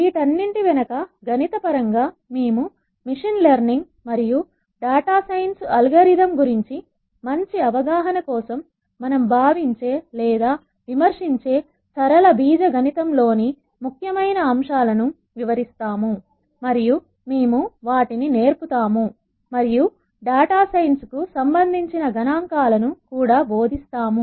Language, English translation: Telugu, In terms of the mathematics behind all of this we will describe important concepts in linear algebra that we think or critical for good understanding of machine learning and data science algorithms we will teach those and we will also teach statistics that are relevant for data science